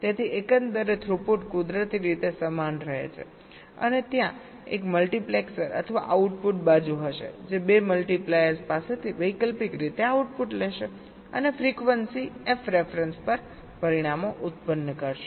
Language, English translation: Gujarati, so overall throughput naturally remains the same and there will be a multiplexor, the output side, that will be taking the output alternately from the two multipliers and will be generating the results at frequency f ref